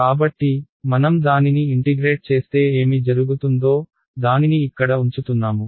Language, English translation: Telugu, So, if I integrate this what will happen, I am going to put this inside over here